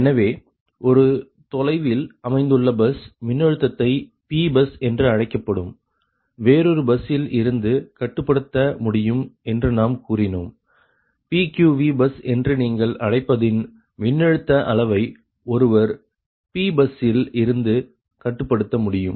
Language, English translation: Tamil, right, so just we have told that a that remotely located bus voltage can be control from another bus that is called, that is called p bus, from p bus one can control that voltage magnitude of your what you call that pq v bus, right